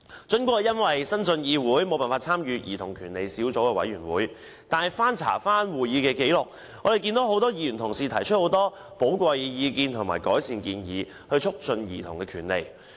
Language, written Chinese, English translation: Cantonese, 儘管我因為剛剛晉身議會，無法參與加入小組委員會，但翻查會議紀錄，我看到很多議員曾提出寶貴意見和改善建議，以促進兒童權利。, Although I was unable to join the Subcommittee as I am new to the Council I can see in the minutes of meetings that many Members have put forward valuable views and recommendations to promote childrens rights